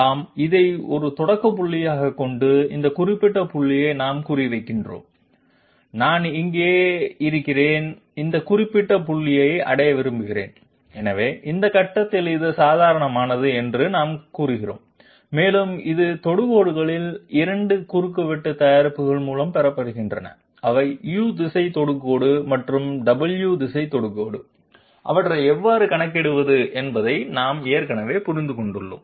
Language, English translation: Tamil, Yes, having this as a starting point and we are targeting this particular point, I am here and I want to reach this particular point, so for that we are saying that this is the normal at this point and it is obtained by cross product of 2 of the tangents which are the U direction tangent and W direction tangent which we have already understood how to calculate them